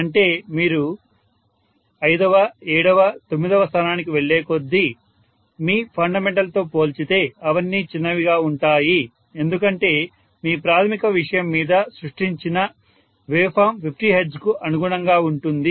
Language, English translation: Telugu, That is if you to go to 5th, 7th, 9th and so on all of them are going to be smaller and smaller as compared to whatever was your fundamental because your primary thing the wave form that you have generated itself is corresponding to 50 hertz